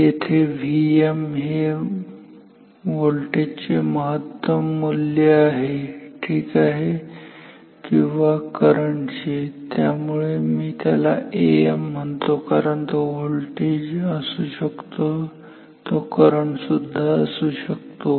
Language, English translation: Marathi, So, V m is what is the peak value of the voltage or current ok; so, let me call it A m because it can be voltage it can be current in general, so, let me call it A m